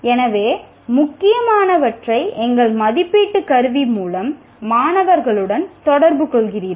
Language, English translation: Tamil, So you are communicating to the students through our assessment tool, is important